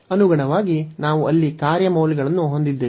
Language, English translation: Kannada, So, correspondingly we have the function values there